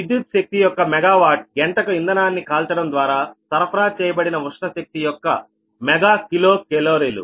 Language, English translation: Telugu, right, this is hipgi, the mega kilo calorie of heat energy supplied by burning the fuel, per mega watt hour of electrical, electric energy